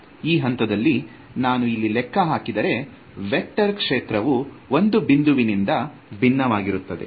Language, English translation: Kannada, Now you can see that if I calculate at this point over here, the vector field is sort of diverging away from one point